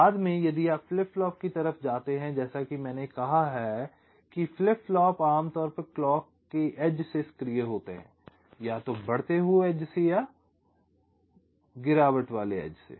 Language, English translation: Hindi, ok, later on, if you move on the flip flopping, as i said, flip flops are typically activated by the edge of the clock, either the rising or the falling edge